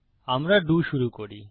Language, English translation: Bengali, We start our DO